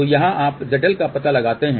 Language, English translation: Hindi, So, here you locate Z L